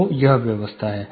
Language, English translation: Hindi, So, this is the arrangement